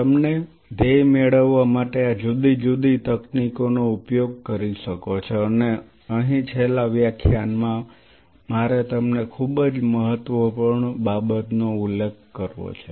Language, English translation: Gujarati, You should be able to use these different techniques to achieve the goal and here I must mention you something very critical in the last lecture